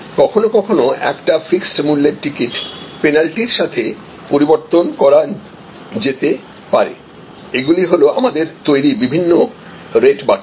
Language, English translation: Bengali, Sometimes a fixed price ticket may be changeable with a penalty, these are all different types of rate buckets that we are creating